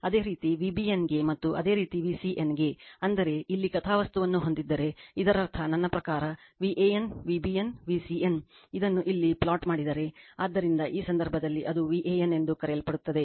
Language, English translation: Kannada, Similarly for V bn and similarly for V cn, that means, if you plot it here, so mean this is my your what you call V an, V bn, V cn if you plot it here, so in this case it will be your what you call V an right